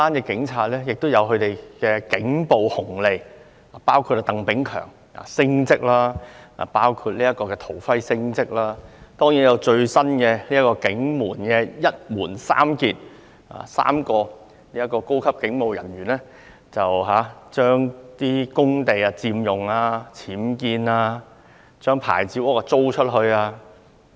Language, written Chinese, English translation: Cantonese, 警察還有"警暴紅利"，例如，鄧炳強、陶輝等人升職，還有最新的"一門三傑"，即3名高級警務人員佔用公地、僭建或將牌照屋出租。, The Police also have bonuses for their brutality for example Chris TANG Rupert DOVER and others have been promoted . Recently we have three elites from the Police Force ie . three senior police officers occupied Government land have unauthorized building works at their homes or rented out licensed structures